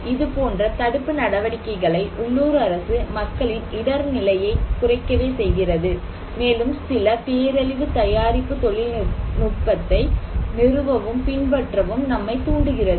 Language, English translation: Tamil, Now, this process that a local government is telling something to the people at risk to reduce their risk and to install and adopt some disaster preparedness technology